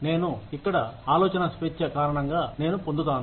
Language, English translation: Telugu, I am here, because of the freedom of thought, I get